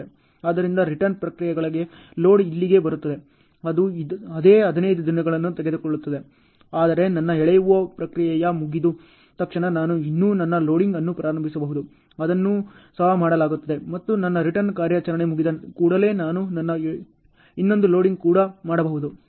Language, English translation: Kannada, So, load to return processes is coming till here, it takes the same 15 days ok, but as soon as my hauling process is done I can still start my loading, that is also done and as soon as my return operation is done still I do my one more loading also ok